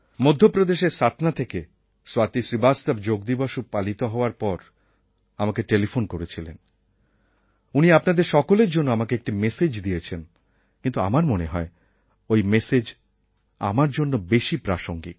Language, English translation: Bengali, Swati Srivastava from Satna in Madhya Pradesh, called me up on telephone after the Yoga Day and left a message for all of you but it seems that it pertains more to me